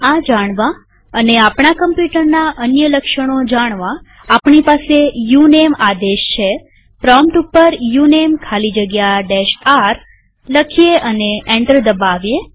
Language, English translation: Gujarati, To know this and many other characteristics of our machine we have the uname command.Type at the prompt uname space hyphen r and press enter